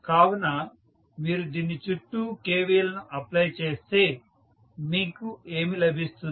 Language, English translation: Telugu, So, if you apply KVL around this, what you get